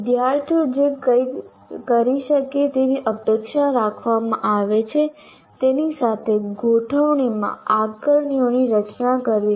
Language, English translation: Gujarati, Designing assessments that are in alignment with what the students are expected to be able to do